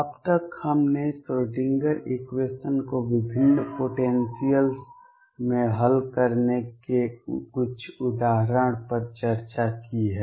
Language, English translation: Hindi, So, far we have discussed a couple of examples of solving the Schrödinger equation in different potentials